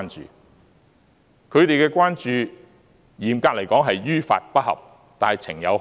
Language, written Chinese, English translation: Cantonese, 至於他們的關注，嚴格來說是於法不合，但情有可原。, With regards to their concerns strictly speaking what they are operating is illegal but has extenuating circumstances